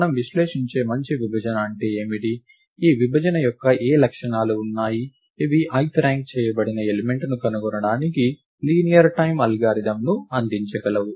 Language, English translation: Telugu, What do we mean by a good partition we analyse, what properties of this partition are there which could give us a linear time algorithm to find the ith ranked element